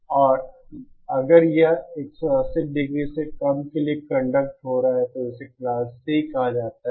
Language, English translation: Hindi, And if it is conducting for less than 180 degree, then it is called Class C